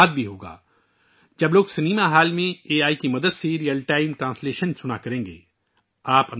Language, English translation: Urdu, The same will happen with films also when the public will listen to Real Time Translation with the help of AI in the cinema hall